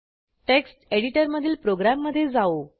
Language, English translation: Marathi, Lets go back to the program in the text editor